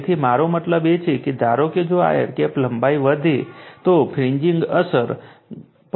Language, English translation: Gujarati, So, I mean if it is the suppose if this air gap length increases, the fringing effect also will increase